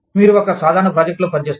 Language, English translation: Telugu, You work on a common project